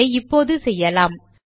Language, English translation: Tamil, Let us do that now